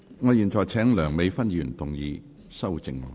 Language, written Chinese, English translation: Cantonese, 我現在請梁美芬議員動議修正案。, I now call upon Dr Priscilla LEUNG to move an amendment